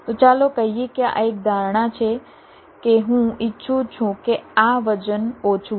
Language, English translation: Gujarati, ok, so lets say its an assumption that i want that this weight to be less